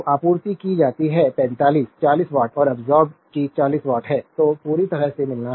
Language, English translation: Hindi, So, supplied is 45, 40 watt and absorb is also 40 watt so, perfectly matching